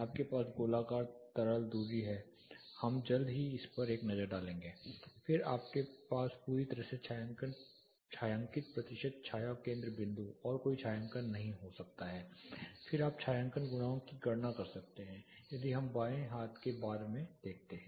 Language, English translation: Hindi, You have spherical liquid distance we will take a look at it shortly, then you can have a fully shaded percentage shade center point and no shading, then you can calculate shading coefficient this is what we see in the left hand bar